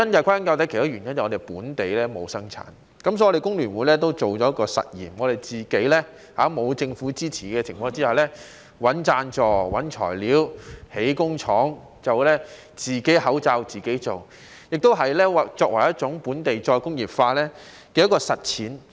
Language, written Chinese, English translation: Cantonese, 歸根究底，其中一個原因是香港本地沒有生產，所以工聯會也做了一個實驗，我們在沒有政府支持的情況下，自己找贊助、找材料、建工廠，自己口罩自己做，也是作為本地再工業化的一項實踐。, All in all one of the reasons was that there was no local production in Hong Kong . For this reason the Hong Kong Federation of Trade Unions FTU conducted an experiment . With no support from the Government we sought sponsorship sourced materials and set up a factory on our own to make our own masks which was an actual implementation of local re - industrialization